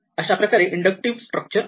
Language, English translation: Marathi, So, that is the inductive structure